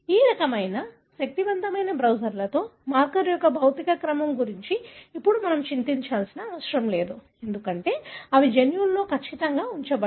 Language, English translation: Telugu, With this kind of powerful browsers, now we really do not need to worry about the physical order of the marker because they are accurately placed in the genome